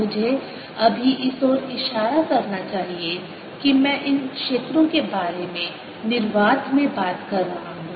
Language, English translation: Hindi, i must point out right now that i am talking about these fields in free space